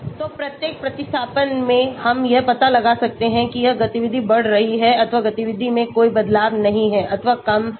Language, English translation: Hindi, So, at each of the substitution we can find out whether it is increasing the activity or no change in the activity or less